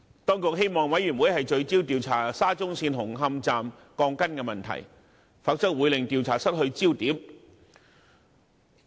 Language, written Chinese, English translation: Cantonese, 當局希望委員會聚焦調查沙中線紅磡站的鋼筋問題，否則會令調查失去焦點。, The Administration hoped that the Commission of Inquiry would focus on the problems of steel bars at Hung Hom Station of SCL otherwise the inquiry would be out of focus